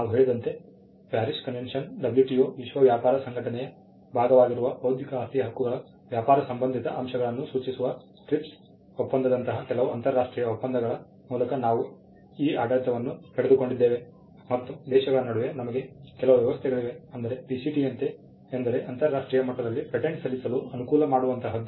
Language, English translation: Kannada, As we mentioned, we derived this regime through certain international conventions like the Paris convention, the trips agreement which stands for trade related aspects of intellectual property rights which is a part of the WTO, the world trade organization and also we have some arrangements between countries to facilitate patent filing internationally like the Patent Cooperation Treaty, the PCT